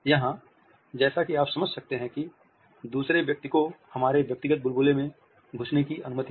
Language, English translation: Hindi, Here, as you can understand the other person is allowed to intrude into our personal bubble